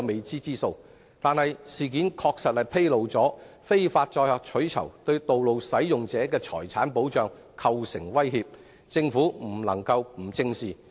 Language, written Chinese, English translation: Cantonese, 這事件確實反映非法載客取酬對道路使用者的財產構成威脅，政府不能不正視。, This incident has accurately reflected that illegal carriage of passengers for reward has posed a threat to the property of other road users a problem which the Government must face squarely